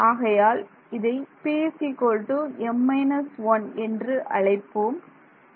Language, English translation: Tamil, So, let us call it p such that m minus 1 is equal to p right